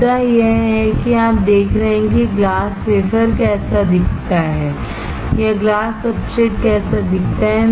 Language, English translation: Hindi, The point is you see how the glass wafer looks like or glass substrate looks like